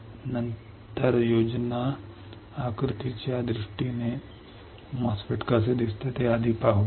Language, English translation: Marathi, So, let us first see how MOSFET looks like in terms of schematic diagram ok